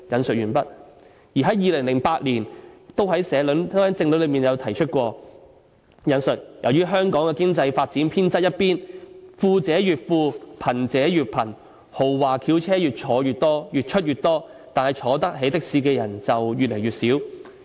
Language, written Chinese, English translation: Cantonese, "在2008年的政論內提過："由於香港的經濟發展偏側一邊，富者越富，貧者越貧，豪華轎車越出越多，但坐得起的士的人就越來越少。, A political commentary in 2008 said Due to lopsided economic development the rich is getting rich while the poor is getting poor . There are more and more luxurious cars but fewer and fewer people can afford to take a taxi